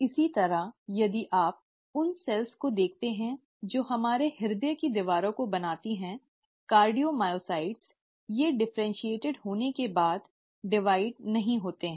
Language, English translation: Hindi, Similarly, if you look at the cells which form the walls of our heart, the cardiomyocytes, they do not divide after they have differentiated